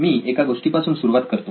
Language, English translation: Marathi, Let me start out with a story